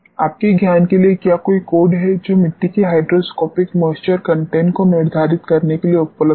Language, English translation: Hindi, To your knowledge is there any code which is available to determine hydroscopic moisture content of the soils